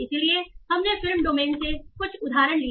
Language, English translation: Hindi, So we took some examples from the movie domain